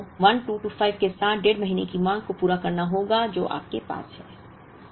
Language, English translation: Hindi, So, you have to meet the one and the half months demand, with the 1225, that you have